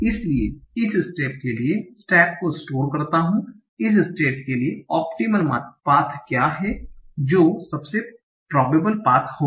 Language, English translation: Hindi, So I store the step for this step, for this state, what is the optimal cost, or what is the most probable path